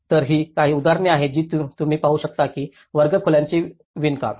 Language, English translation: Marathi, So, these are some of the examples you can see that the weave of the classrooms